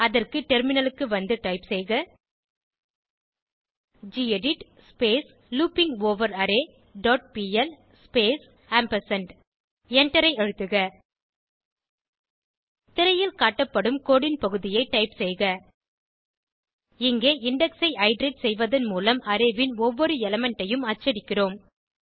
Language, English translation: Tamil, For this, switch to the terminal and type gedit loopingOverArray dot pl space ampersand And Press Enter Type the piece of code as shown on the screen Here, we are printing each element of array by iterating the index